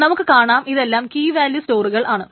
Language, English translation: Malayalam, Let us now move on to key value stores